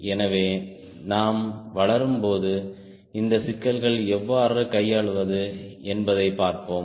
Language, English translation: Tamil, so as we develop, we will see how to handle these issues